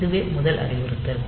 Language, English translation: Tamil, So, the first instruction